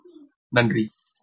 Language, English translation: Tamil, so, ok, thank you